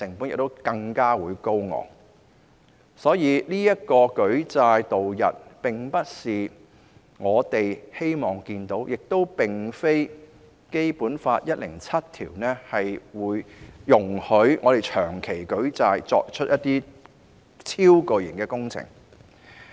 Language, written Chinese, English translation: Cantonese, 因此，舉債度日並不是我們想看到的，而《基本法》第一百零七條亦不會容許我們長期舉債以展開超巨型的工程。, What is more Article 107 of the Basic Law also prohibits us from launching gigantic projects by living on credit for a long period of time